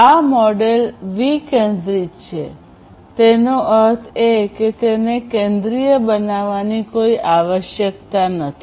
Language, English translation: Gujarati, So, this model is decentralized; that means, there is no requirement for having a centralized server